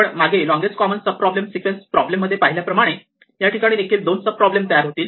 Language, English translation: Marathi, So, when we did the longest common sub sequence problem, we had two sub problems